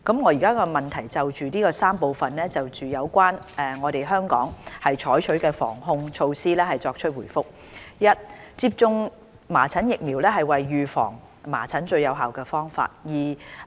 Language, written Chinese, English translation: Cantonese, 我現就質詢的3部分，就有關本港採取的防控措施，作出回覆：一接種麻疹疫苗為預防麻疹的最有效方法。, My reply to the three parts of the question on the control measures taken in Hong Kong is as follows 1 Vaccination is the most effective way to prevent measles